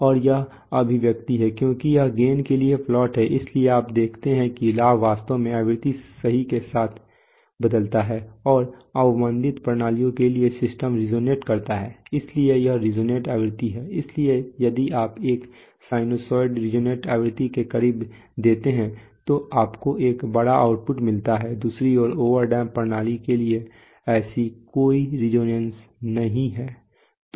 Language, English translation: Hindi, And this is the expression, for this is the plot for gain, so you see that the gain actually changes with frequency right and for under damped systems the system tends to be, tends to resonate so this is the resonant frequency, so if you give a sinusoid close to the resonant frequency then you get a huge output right, on the other hand for over damped system there is, there is, there is no such resonance